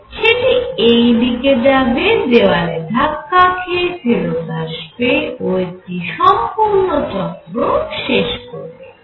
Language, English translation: Bengali, It will go this way, hit the wall and come back and that will be one complete motion